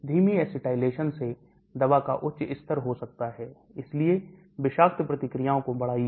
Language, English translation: Hindi, Slow acetylation may lead to higher blood levels of the drug, so increase the toxic reaction